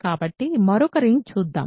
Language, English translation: Telugu, So, let us look at another ring